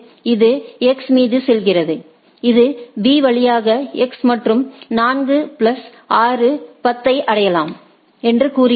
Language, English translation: Tamil, It goes on X to it says that it you can reach X via B by 4 plus 6 10 right